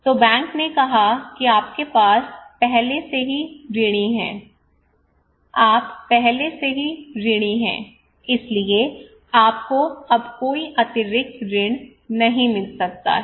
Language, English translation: Hindi, So the bank would say that you have already loan so you cannot get any extra credit now